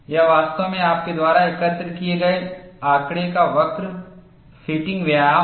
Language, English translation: Hindi, It is actually curve fitting exercise of the data that you have collected